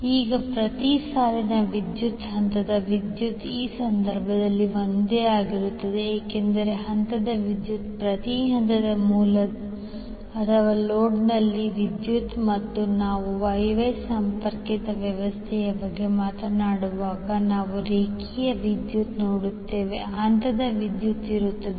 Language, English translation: Kannada, Now while the line current is the current in each line, the phase current is also same in this case because phase current is the current in each phase of source or load and when we talk about the Y Y connected system we will see that the line current is same as the phase current